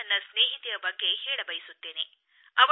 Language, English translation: Kannada, I want to tell you about a friend of mine